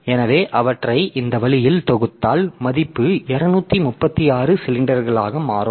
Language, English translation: Tamil, So, if you sum them up in this way that value turns out to be 236 cylinder